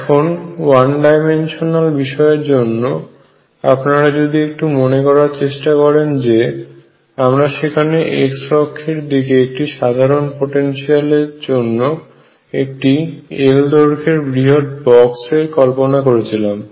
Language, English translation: Bengali, Recall the one dimensional cases, what we have done there for a general potential in x direction, we had taken a box which was a huge box of size l